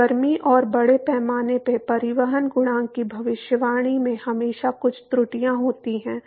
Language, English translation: Hindi, So, there are always some errors in the prediction of the heat and mass transport coefficient